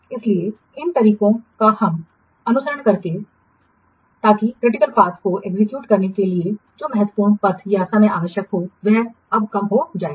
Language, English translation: Hindi, So, these ways we can follow so that the critical what path time or the time required for the executing the critical activities that it will be now reduced